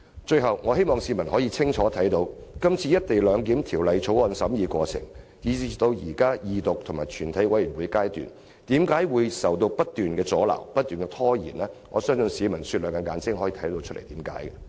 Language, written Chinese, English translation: Cantonese, 最後，我希望市民可以看清楚，這次《條例草案》的審議過程，由二讀至全體委員會審議階段，為何不斷受到阻撓和拖延，我相信市民雪亮的眼睛會看到箇中原因。, Lastly I hope members of the public can see clearly why in the course of deliberation from Second Reading to the Committee stage the Bill has been obstructed and delayed in every turn . I am sure the public with their discerning eyes can see through the reasons behind it